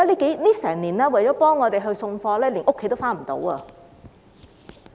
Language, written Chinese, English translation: Cantonese, 過去一年，他們為我們運送貨物，有家也歸不得。, In the past year they have been transporting goods for us and have not been able to return to their homes